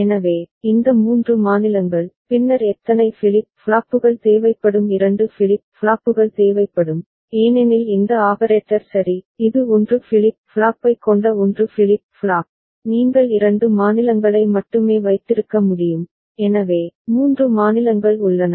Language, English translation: Tamil, So, this 3 states, then how many flip flops would be required of course 2 flip flops will be required that because of this operator ok, it is 1 flip flop with 1 flip flop, you can have 2 states only ok, so, 3 states are there